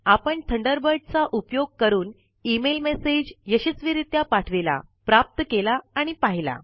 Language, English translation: Marathi, We have successfully sent, received and viewed email messages using Thunderbird